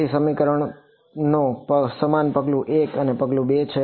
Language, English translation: Gujarati, So, the equations are the same step 1 step 2 the equations are the same